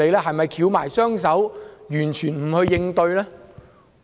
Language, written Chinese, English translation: Cantonese, 是否翹起雙手，完全不去應對呢？, Should they fold their arms and do nothing?